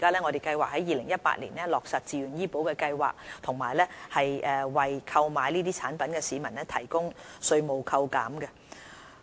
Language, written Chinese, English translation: Cantonese, 我們計劃在2018年落實自願醫保計劃，以及為購買相關產品的市民提供稅務扣減。, We plan to implement the scheme in 2018 and will offer tax incentives for members of the public who procure such health insurance products